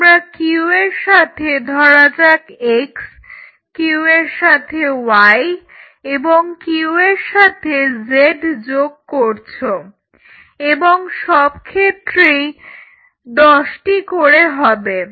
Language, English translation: Bengali, You put the Q plus say x, Q plus y, Q plus z again all the applications are 10